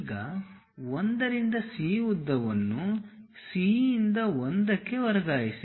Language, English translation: Kannada, Now, transfer 1 to C length from C to 1 here